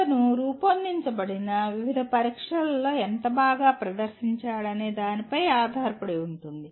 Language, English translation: Telugu, It depends on how well he has performed in various tests that have been designed